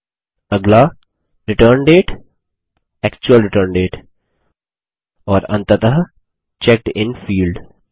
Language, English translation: Hindi, Next, the Return date,the actual return date And finally the checked in field